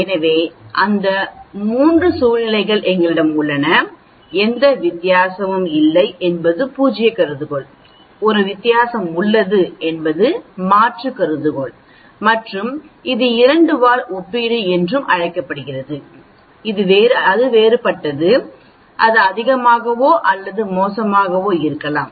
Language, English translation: Tamil, So we have those 3 situations, no difference is the null hypothesis, there is a difference is the alternate hypothesis and that is called a two tailed comparison that is a different, it could be greater or worst